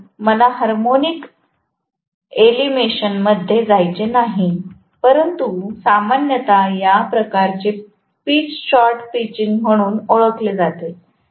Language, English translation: Marathi, So, I do not want to get into the harmonic elimination, but generally this kind of pitch is known as short pitching